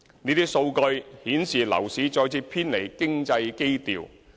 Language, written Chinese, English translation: Cantonese, 這些數據顯示樓市再次偏離經濟基調。, As shown by such data the property market is moving away from economic fundamentals again